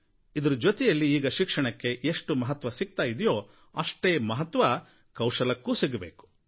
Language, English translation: Kannada, Along with importance to education, there is importance to skill